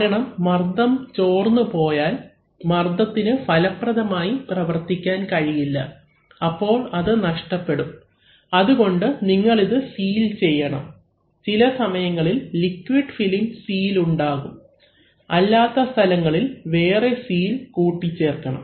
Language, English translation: Malayalam, Because if this pressures leaked out then the pressure cannot do effective work, so it will be lost, so therefore you need to have sealed and in many cases the liquid film itself creates the seal, in still other places you have to add additional seals